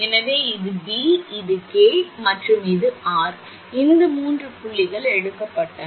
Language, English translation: Tamil, So, this is P; this is Q; and this is R, these three points are taken